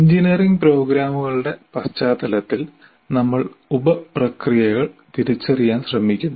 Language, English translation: Malayalam, So, in the context of engineering programs, we are trying to identify the sub processes